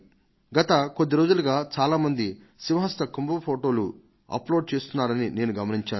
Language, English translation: Telugu, I have been noticing for the last two days that many people have uploaded pictures of the Simhastha Kumbh Mela